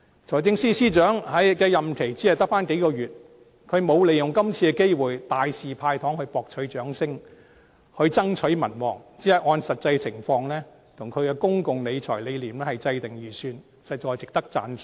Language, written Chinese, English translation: Cantonese, 財政司司長的任期只剩下數月，他並沒有利用這次的機會大肆"派糖"來博取掌聲、增取民望，只按實際情況及其公共財政理念來制訂預算，實在值得讚賞。, There are only a few months left in the present term of the Financial Secretary but he did not use this opportunity to dole out lots of sweeteners so as to win public applause and to enhance his popularity . He only prepared the Budget in accordance with the actual situation and the fiscal policies to which he adheres and this is worth our compliments